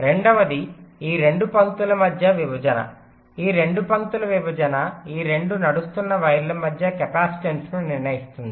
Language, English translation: Telugu, the separation of these two lines will determine the capacitance between these two run running wires